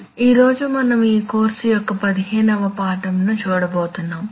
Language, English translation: Telugu, A very good morning to you today we are going to look at lesson number fifteen of this course